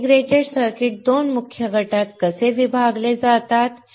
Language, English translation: Marathi, How integrated circuits are divided into 2 main group